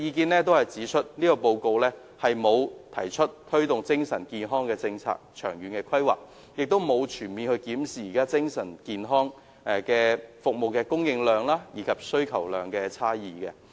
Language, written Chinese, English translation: Cantonese, 他們均指出，《報告》沒有提出推動精神健康政策和長遠規劃，亦沒有全面檢視現時精神健康服務的供應和需求差異。, They have invariably pointed out the failure of the Report to mention anything about promoting a policy and long - term planning for mental health and to comprehensively review the supply - demand discrepancy in the existing mental health services